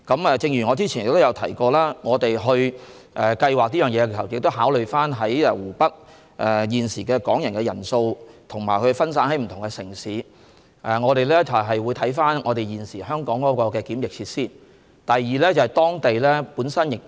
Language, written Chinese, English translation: Cantonese, 我早前亦提到，我們在計劃此事時，須考慮現時在湖北的港人人數，以及他們分散在不同的城市，我們會視乎香港的檢疫設施數目而作出安排。, As I mentioned earlier in making plans on this matter we have to consider the number of Hong Kong people currently in Hubei and the fact that they are scattered in different cities . Arrangements will be made in the light of the number of quarantine facilities available in Hong Kong